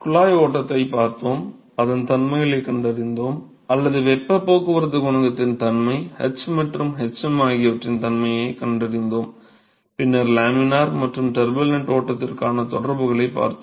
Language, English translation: Tamil, We looked at pipe flow and we found the characteristics or I should say nature of heat transport coefficient, nature of h and hm we found that, and then we looked at correlations for laminar and turbulent flow